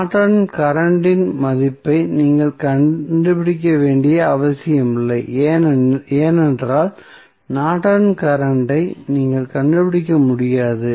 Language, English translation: Tamil, So, it means that you need not to find out the value of Norton's current because you cannot find out Norton's current as we see there is no any depend independent voltage or current source